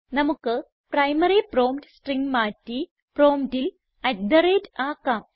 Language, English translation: Malayalam, We may change our primary prompt string to say at the rate lt@gt at the prompt